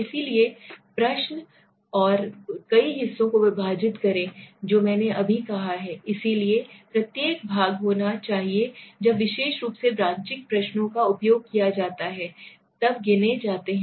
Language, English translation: Hindi, So the divide the question and several parts which I just said right, so each part should be numbered when particularly when the branching questions are used